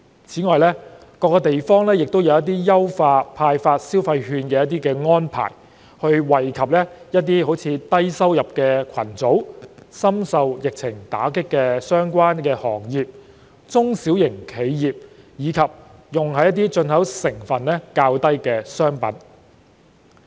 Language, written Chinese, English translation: Cantonese, 此外，各地也有一些派發消費券的優化安排，以惠及低收入群組、深受疫情打擊的相關行業和中小企，以及用於進口成分較低的商品。, Furthermore enhanced arrangements have been made in the disbursement of consumption vouchers to benefit low - income groups pandemic - stricken industries and small and medium enterprises as well as commodities with fewer imported contents